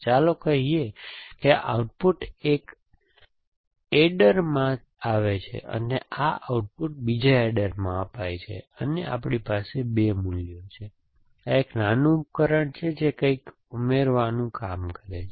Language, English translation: Gujarati, Let us say this output is to an adder, and this output is produced, spread to another adder and we have 2 values, here is a small device which does something from add an addition